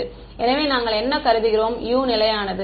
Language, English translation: Tamil, So, what we are assuming U constant